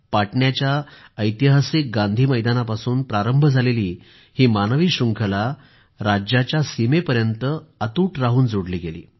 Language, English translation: Marathi, The human chain that commenced formation from Gandhi Maidan in Patna gained momentum, touching the state borders